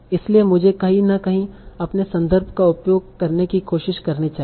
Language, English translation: Hindi, So I should be trying to using my context in some way